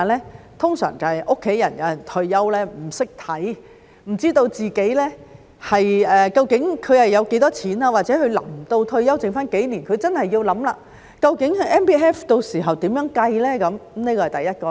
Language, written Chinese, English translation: Cantonese, 一般便是有家人退休不懂得看，不知道自己究竟有多少錢，或者有些人臨近退休前的數年，真的要思考究竟 MPF 到時候如何計算，這是第一種情況。, Usually it is when my family members are retiring and do not know how to read it and how much money they have . Or some people who will retire in a few years really have to think about how their MPF will be calculated then . This is one situation